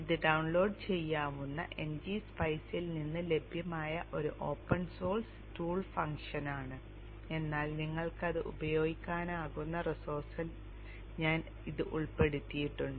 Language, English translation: Malayalam, This is an open source tool function available from NG Spice which could have been downloaded but I have included it in the resource you can use it